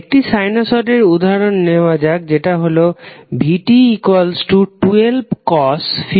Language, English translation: Bengali, Let's take the example of one sinusoid that is vT is equal to 12 cos 50 t plus 10 degree